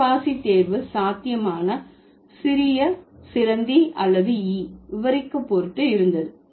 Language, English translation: Tamil, The choice of sponge was possibly in order to describe the small spider or the fly